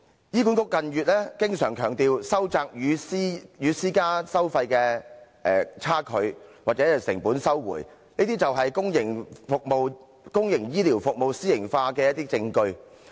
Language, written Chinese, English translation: Cantonese, 醫管局近月經常強調，收窄與私營服務收費的差距或成本收回，這些就是公營醫療服務私營化的一些證據。, In recent months HA has stressed time and again its intention of paring down the discrepancy in service charges or cost recovery between HA and the private sector . This is the evidence revealing the privatization of public healthcare services